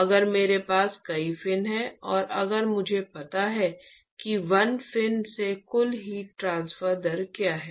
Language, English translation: Hindi, If I have many fins and if I know what is the total heat transfer rate from 1 fin